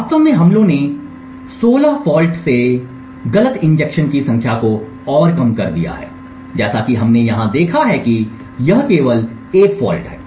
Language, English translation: Hindi, In fact the attacks have further reduced the number of false injected from 16 faults as we have seen over here to just a single fault